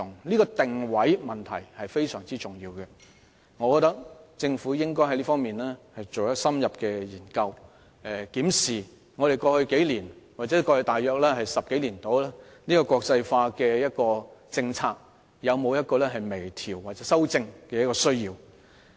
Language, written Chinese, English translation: Cantonese, 這個定位問題非常重要，我認為政府在這方面應該進行深入研究，檢視過往數年或10多年的國際化政策有否微調或修正的需要。, This question of positioning is very important . I think the Government should carry out in - depth studies and review the need to fine - tune or amend the policy on internationalization that has been adopted over the past few years or a decade or so